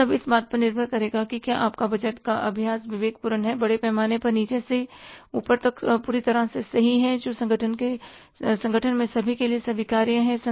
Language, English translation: Hindi, This all will depend upon if your budgeting exercises is prudent, foolproof is largely from bottom to top and acceptable to all in the organizations